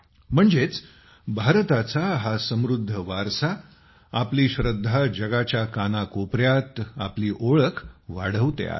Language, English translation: Marathi, That is, the rich heritage of India, our faith, is reinforcing its identity in every corner of the world